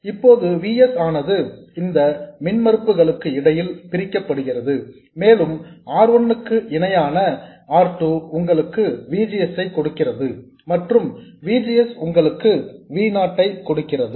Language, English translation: Tamil, Now, VS gets divided between these impedances and R1 parallel R2 to give you VGS and VGS gives you V0